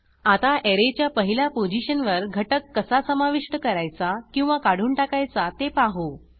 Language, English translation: Marathi, Now, let us see how to add/remove an element from the 1st position of an Array